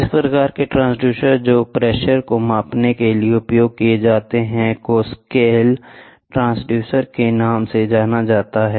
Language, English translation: Hindi, This type of transducer which is used to measure pressure is known as slack diaphragm, ok